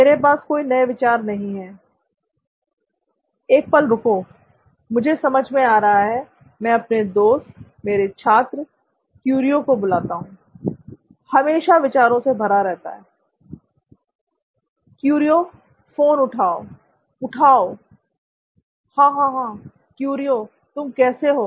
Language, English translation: Hindi, I do not have any ideas, wait a second, I have an idea I call my friend, my student Curio, let us see he is always brimming with ideas, let me call him first, come on Curio, Curio pickup pickup pickup, ha, hey, yes Curio, hey how are you man